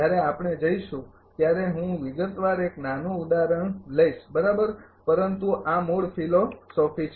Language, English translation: Gujarati, I will take one small example in detail when we will go right, but these are the basic philosophy